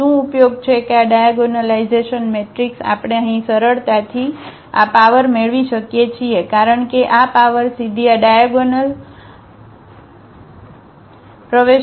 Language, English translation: Gujarati, What is the use here that this diagonal matrix we can easily get this power here because this power will directly go to this diagonal entry